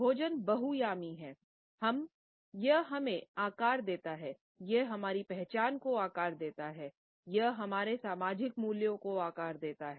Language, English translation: Hindi, Food is multidimensional, it shapes us, it shapes our identity, it shapes our social values